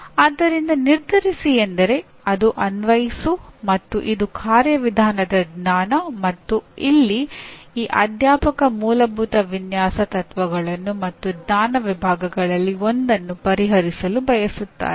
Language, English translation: Kannada, So determine means it is Apply and it is a Procedural Knowledge and here this faculty member wants to address Fundamental Design Principles as well as one of the knowledge categories